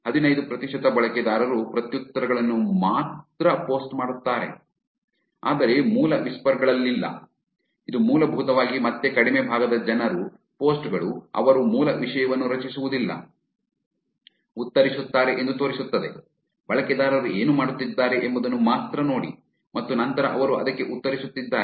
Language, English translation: Kannada, 15 percent of the users only post replies, but no original whispers, which basically again shows that less fraction of people posts replies that they do not create original content, only look at what users are doing and then they are replying to it